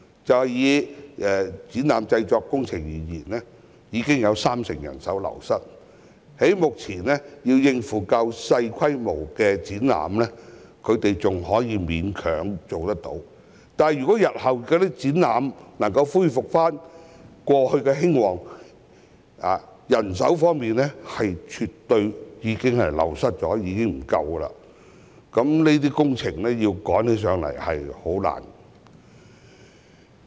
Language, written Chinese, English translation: Cantonese, 就以展覽製作工程業而言，已有三成人手流失，目前，較小規模的展覽，他們仍能勉強應付，但若日後展覽業務能回復過往的興旺情況，人手卻因流失而不足，那麼，趕急的工程便不容易處理。, In the exhibition production sector manpower wastage has reached 30 % . For the time being they can barely cope with small - scale exhibitions but if exhibition business can return to its previous thriving state in the future but there is a shortage of manpower due to wastage they will have difficulties in handling urgent projects